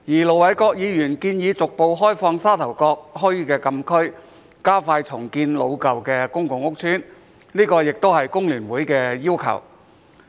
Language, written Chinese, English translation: Cantonese, 盧偉國議員建議逐步開放沙頭角墟的禁區，加快重建老舊的公共屋邨，這個也是工聯會的要求。, Ir Dr LO Wai - kwok has proposed progressively opening up the closed area of Sha Tau Kok Town and expediting the redevelopment of old public housing estates which are also requests of FTU